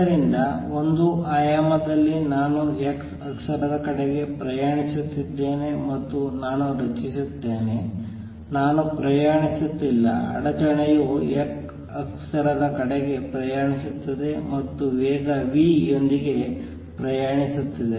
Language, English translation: Kannada, So, in one dimension suppose I am travelling towards the x axis and I create, I am not travelling the disturbance is traveling towards the x axis and travels with speed v